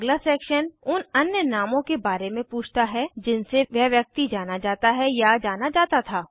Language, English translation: Hindi, The next section asks for other names that one is or was known by